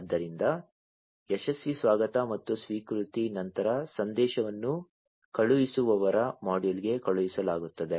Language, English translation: Kannada, So, after successful reception and acknowledgement message is sent to the sender module